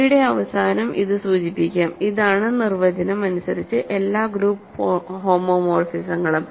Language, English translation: Malayalam, So, let us denote this by End End of G, this is by definition all group homomorphisms from